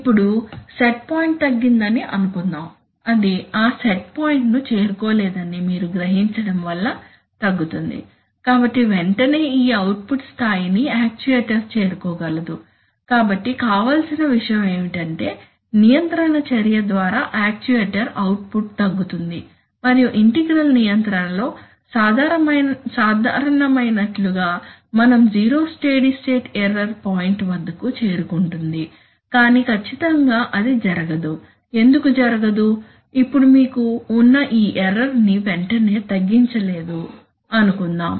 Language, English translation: Telugu, Now suppose the set point is reduced, here it is you have realized that it cannot reach that set point so it is reduced, so immediately now this output level, this output level is very much reachable by the actuator, so what is desirable is that the actuator will immediately, because by control action the output will come down and we will reach at zero steady state error point, as is common under integral control, but exactly that does not happen why it does not happen, now suppose that you have held this error you have not immediately reduced it